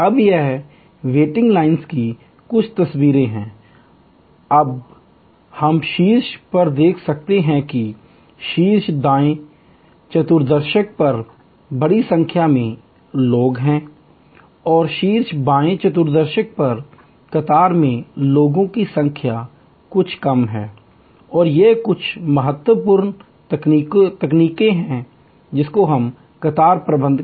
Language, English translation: Hindi, Now, here are some pictures of waiting lines, now we can see on top there are large number of people on the top right quadrant and there are far lesser number of people on the queue on the top left quadrant and these are some important techniques for queue management